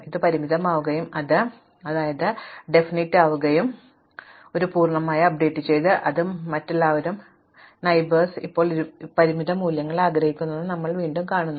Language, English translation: Malayalam, So, this will become finite and these will become infinity, now you done one full sequence of updates in which other then s all the neighbors are wish now some finite values, now you do this whole thing again